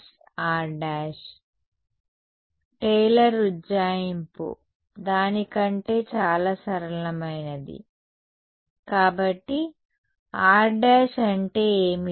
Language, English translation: Telugu, Taylor approximation Taylor approximation something even simpler than that; so, what is r prime